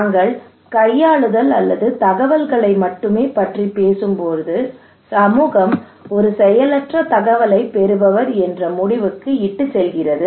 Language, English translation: Tamil, When we are talking about manipulation kind of thing or only informations kind of thing okay it leads to that community is a passive recipient of informations